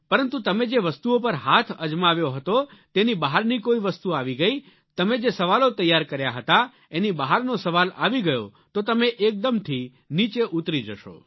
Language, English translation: Gujarati, But if something comes from outside those few things you had touched upon; a question comes which is outside the bunch of selected questions that you had prepared; you will be find yourself slipping to the rock bottom